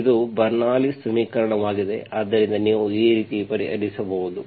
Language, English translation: Kannada, It is Bernoulli s equation, so you can solve like this